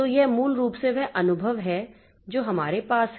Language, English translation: Hindi, So, this is basically the experience that we have